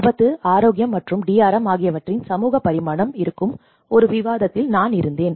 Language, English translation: Tamil, And I was in one of the discussion where the social dimension of risk and health and DRM